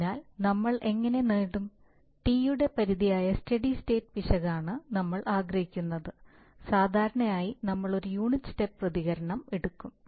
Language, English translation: Malayalam, So, how do we obtain that right, so for that, so we want, that this is the steady state error that is limit of T can be typically we take a unit step response